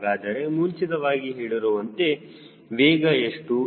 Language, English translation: Kannada, so what is the prescribed speed